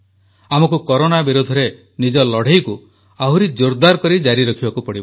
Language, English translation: Odia, We have to firmly keep fighting against Corona